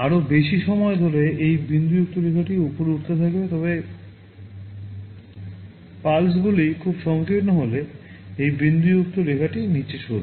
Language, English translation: Bengali, More the on period this dotted line will be moving up, but if the pulses are very narrow then this dotted line will move down